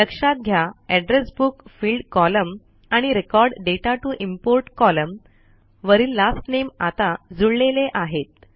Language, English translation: Marathi, Notice, that the Last Name on the Address Book fields column and the Last Name on the Record data to import column are now aligned